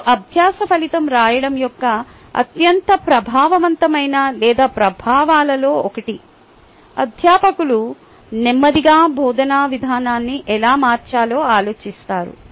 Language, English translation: Telugu, and one of the most ah effective or impact of writing learning outcome is faculty will slowly think how to change the way of teaching